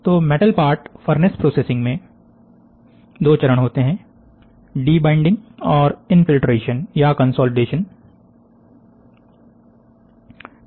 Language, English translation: Hindi, So, the metal parts furnace processing occurs in 2 stage, one is debinding and infiltration, or by consolidation